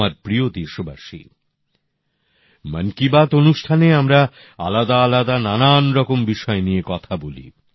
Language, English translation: Bengali, in Mann Ki Baat, we refer to a wide range of issues and topics